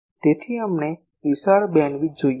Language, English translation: Gujarati, So, we want wide bandwidth